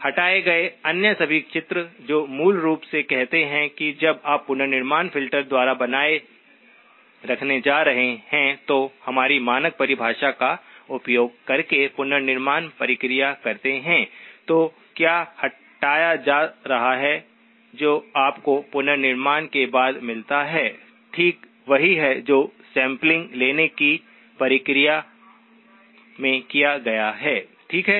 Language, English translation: Hindi, All other images removed which basically says that, when you do the reconstruction process using our standard definition of what is going to be retained by the reconstruction filter, what is going to be removed, what you get after reconstruction, is exactly what went into your sampling process, okay